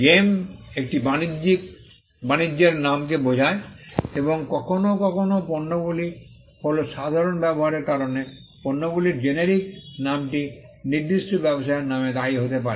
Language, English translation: Bengali, Gem refers to a trade name and sometimes products are the generic name of the products may be attributed to certain trade names because of the common use